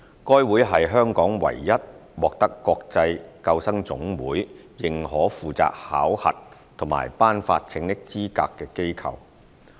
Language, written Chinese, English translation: Cantonese, 該會是香港唯一獲得國際救生總會認可負責考核及頒發拯溺資格的機構。, HKLSS is the only body recognized by the International Life Saving Federation for assessing and awarding lifeguard qualifications in Hong Kong